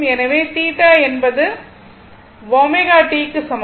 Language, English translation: Tamil, So, this is theta is equal to omega t